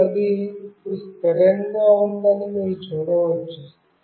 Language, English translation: Telugu, And you can see that it is now stable